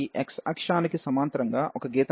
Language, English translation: Telugu, Let us draw a line parallel to this x axis